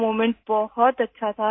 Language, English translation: Urdu, That moment was very good